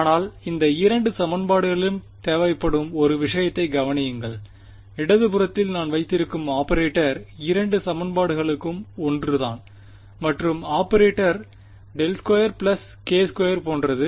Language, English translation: Tamil, But notice one thing that was required in both of these equations is that the operator that I have on the left hand side that for both the equations is the same right and that operator is what it is like del squared plus k squared